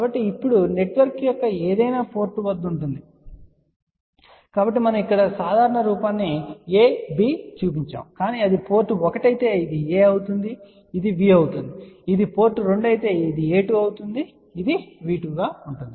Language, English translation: Telugu, So, now, at any port of the network, so we have just shown here the generalized form a b, but suppose if it is a port 1 then this will be a 1, this will be V 1, if it is port 2 this will be a 2 and this will be V 2 and so on